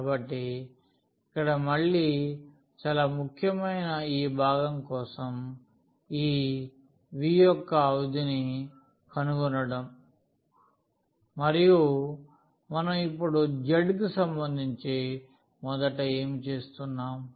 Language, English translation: Telugu, So, the most important part again here is finding this limit for this v and what we do now first with respect to z again we are putting